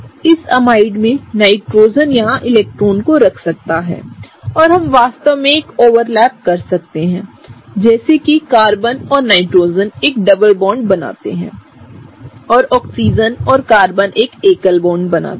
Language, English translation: Hindi, In this amide, the Nitrogen can put electrons here and we can really have an overlap such that the Carbon and Nitrogen form a double bond and the Oxygen and Carbon form a single bond